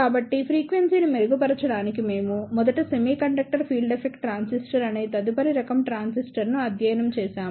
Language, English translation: Telugu, So, to improve the frequency, we studied the next type of transistor that is Metal Semiconductor Field Effect Transistor